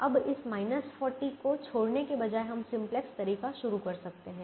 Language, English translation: Hindi, now, instead of leaving this minus forty, we could have started the simplex way